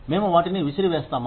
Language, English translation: Telugu, Do we throw them out